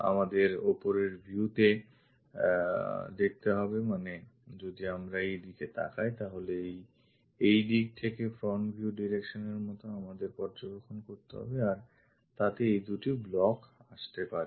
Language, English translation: Bengali, We have to see top view means from this direction we have to observe it looks like front view direction if we are observing in this direction, these two blocks supposed to come